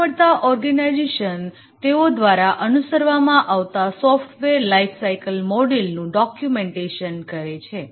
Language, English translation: Gujarati, Most organizations, they document the software lifecycle model they follow